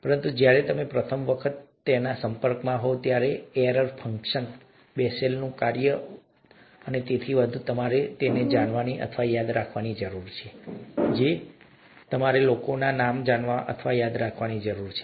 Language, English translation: Gujarati, But, when, you are exposed to them for the first time, error function, Bessel’s function and so on and so forth, you need to know or remember them, what they are, the same way that you need to know or remember people’s names, okay